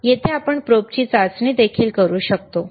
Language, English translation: Marathi, Hhere also we can do the testing of the probe